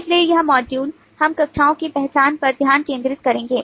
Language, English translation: Hindi, so this module, we will focus on identification of classes